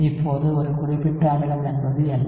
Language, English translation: Tamil, Now, what exactly is a specific acid